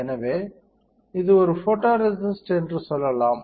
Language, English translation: Tamil, So, let us say this is a photoresist